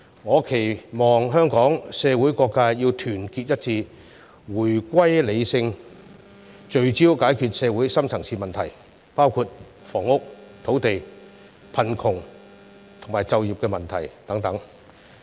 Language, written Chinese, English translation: Cantonese, 我期望香港社會各界團結一致，回歸理性，聚焦解決社會深層次問題，包括房屋、土地、貧窮及就業問題等。, I hope that various sectors of the community will stand united and adopt a rational attitude again focusing attention on resolving the deep - seated problems in society including problems relating to housing land poverty and employment